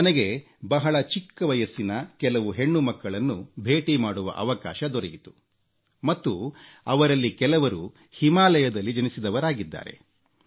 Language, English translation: Kannada, I had the opportunity to meet some young daughters, some of who, were born in the Himalayas, who had absolutely no connection with the sea